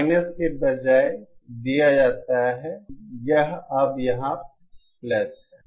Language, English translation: Hindi, Instead of the minus, it is now plus here